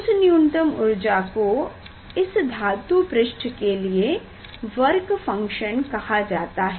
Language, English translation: Hindi, that energy is call the work function of the surface of the metal